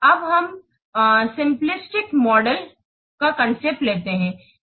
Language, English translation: Hindi, Now, let's take this the concept of simplistic model